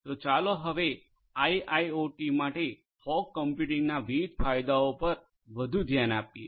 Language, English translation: Gujarati, So, now, let us look further at these different advantages of fog computing for IIoT